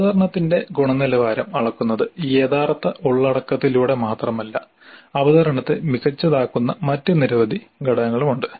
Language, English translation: Malayalam, Now a presentation is measured not only the quality of presentation is measured not only by the actual content but there are several other factors which go to make the presentation a good one